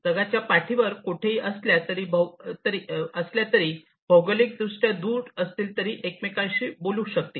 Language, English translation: Marathi, So, they might be geographically distant apart, but still they would be able to talk to each other